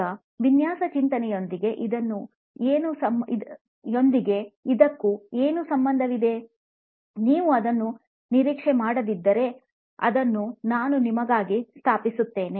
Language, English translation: Kannada, Now, what has this got to do with design thinking, if you have not figured it out, I will lay it out for you